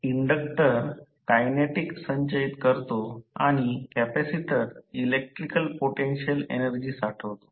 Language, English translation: Marathi, Now, the inductor stores the kinetic energy and capacitor stores the potential energy that is electrical potential energy